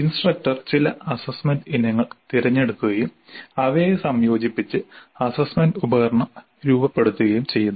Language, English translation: Malayalam, The instructor selects certain assessment items, combines them to form the assessment instrument